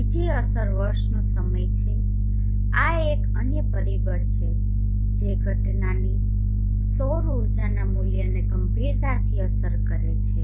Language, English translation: Gujarati, Another effect is time of year this is another factor which seriously affects the value of the incident solar energy